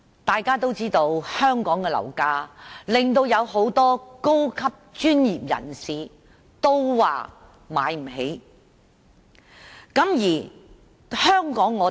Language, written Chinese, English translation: Cantonese, 大家皆知道，香港的樓價令很多高級專業人士也無法負擔。, As Members all know Hong Kongs property prices are unaffordable to many high - ranking professionals